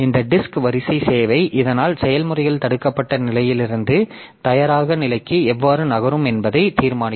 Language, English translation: Tamil, So, this disk queue service so that will also determine how the processes will move from blocked state to the ready state